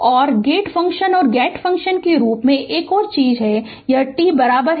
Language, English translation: Hindi, And another thing as a gate function and the gate function and this at t is equal to 3